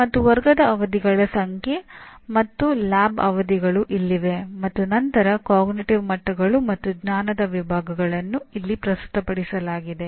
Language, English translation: Kannada, And number of class sessions and lab sessions are here and then cognitive levels and knowledge categories are presented here